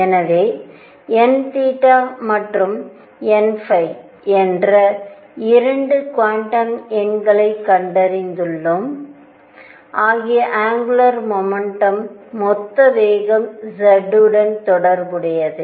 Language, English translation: Tamil, So, we have found 2 quantum numbers n theta and n phi related to the total momentum and z of angular momentum